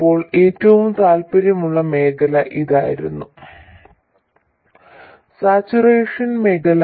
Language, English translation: Malayalam, Now the region of most interest to us is this, the saturation region